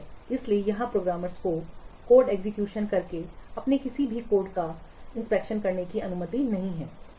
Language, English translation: Hindi, So here programmers will not be allowed to test any of their code by executing the code